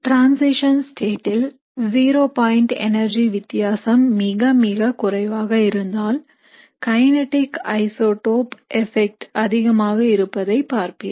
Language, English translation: Tamil, So if the zero point energy difference is very very less in the transition state, you will observe maximum kinetic isotope effect